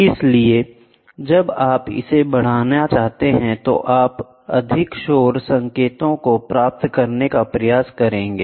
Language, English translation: Hindi, So, when you try to amplify this, you will try to get more noise signals